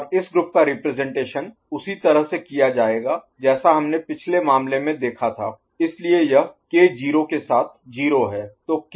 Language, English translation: Hindi, And this group will be represented by similar to what we had seen in the previous case, so this is your K remaining with 0